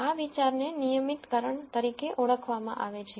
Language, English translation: Gujarati, This idea is what is called as regularization